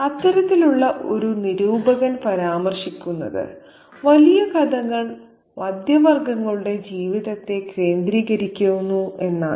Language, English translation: Malayalam, One such critic mentions that a large number of his stories center on the life of the middle classes